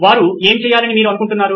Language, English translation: Telugu, What do you want them to do